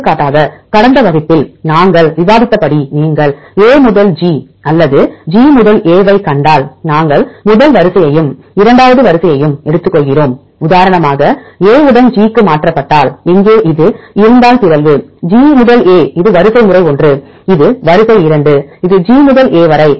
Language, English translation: Tamil, For example if you see A to G or G to A as we discussed in last class we take first sequence and second sequence, if A is mutated to G for example, if have this one here the mutation is G to A this is sequence one, this is sequence two this is G to A